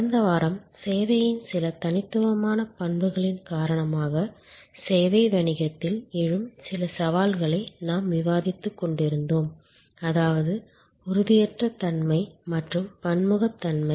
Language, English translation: Tamil, Last week, we were discussing some challenges that arise in the service business due to some unique characteristics of service namely intangibility and heterogeneity